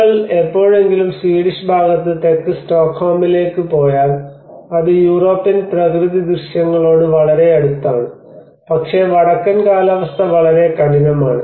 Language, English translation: Malayalam, If you ever go to Stockholm up south in the Swedish part, it is much more closer to the European landscapes, but the northern climates are much harsher